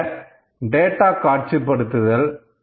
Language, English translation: Tamil, So, this is data visualisation